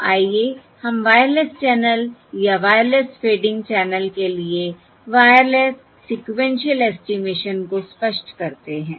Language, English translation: Hindi, So let us illustrate the sequential estimation for Wireless, for the wireless channels, sequential, or the Wireless fading channels